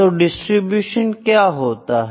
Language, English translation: Hindi, Now, what are distributions